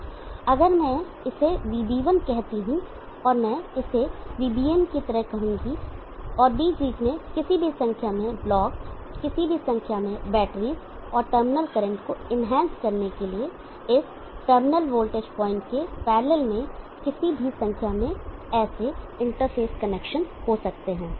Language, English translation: Hindi, Now if I call this Vb1 and I will call this as Vbn and in between there can be any number of blocks any number of batteries and there can be any number of such interface connections in parallel to this terminal voltage point when enhance the terminal current